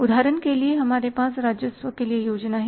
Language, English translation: Hindi, For example we have here the plan for revenues